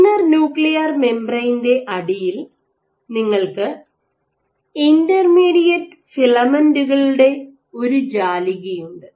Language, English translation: Malayalam, So, just underneath the inner nuclear membrane, you have a network of intermediate filaments